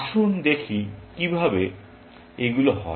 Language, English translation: Bengali, Let us see how these happen